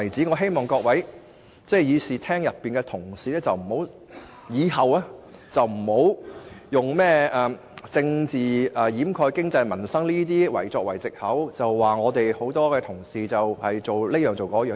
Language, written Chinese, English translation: Cantonese, 我希望會議廳內各位同事日後不要再用甚麼"政治掩蓋經濟民生"等藉口，指責我們多位同事的做法。, I hope that in future Members will not point their fingers at other colleagues in this Chamber again using lame excuses like politics overshadows economic and livelihood concerns